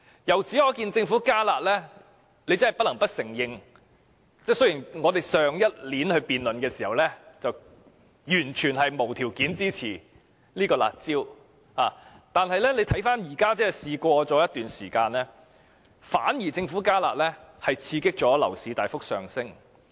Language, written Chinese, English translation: Cantonese, 由此可見，真的不得不承認，雖然我們去年辯論的時候，完全是無條件地支持"辣招"，但相隔了一段時間，我們看到政府"加辣"反而刺激了樓市大幅上升。, Telling from this we cannot but admit that despite our completely unconditional support for the curb measures during our debate last year after a period of time we see that the Governments enhancement of the curb measures has triggered hikes in the property market instead